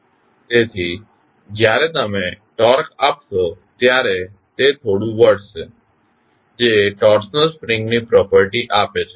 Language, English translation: Gujarati, So, when you give torque it twists slightly which give the property of torsional spring